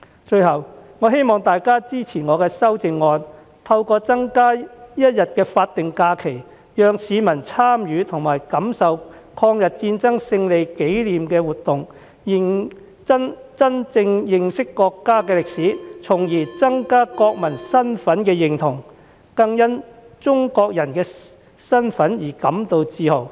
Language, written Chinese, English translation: Cantonese, 最後，我希望大家支持我的修正案，透過增加一天法定假期，讓市民參與和感受抗日戰爭勝利的紀念活動，真正認識國家的歷史，從而增加國民身份認同，更因為中國人的身份而感自豪。, Finally I hope Members will support my amendment to add a statutory holiday to allow the public to take part in and experience the activities commemorating the victory of the War of Resistance so that they can truly understand the history of our country thereby enhancing their national identity and making them proud of their Chinese identity